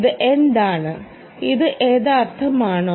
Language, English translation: Malayalam, is this, is this the actual